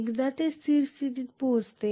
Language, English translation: Marathi, Once it reaches steady state